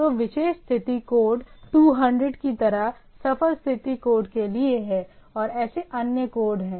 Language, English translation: Hindi, So, particular status code like say 200 is OK, for successful type of status code and then like that